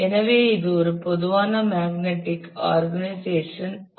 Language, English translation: Tamil, So, that is a typical structure of a magnetic